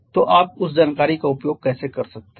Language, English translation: Hindi, So, how can you make use of that information